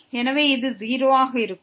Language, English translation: Tamil, So, this will be 0